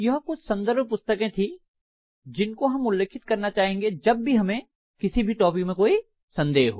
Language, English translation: Hindi, So these are some of the reference books that we might like to refer to whenever we have some confusion in any of the topics